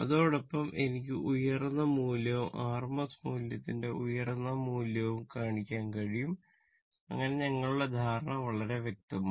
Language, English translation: Malayalam, Simultaneously, I can show you the peak value and the rms value peak value of the rms value such that our our understanding will be very much clear right